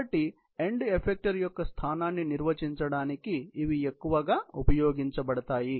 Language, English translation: Telugu, So, these are mostly used for defining the position of the end effector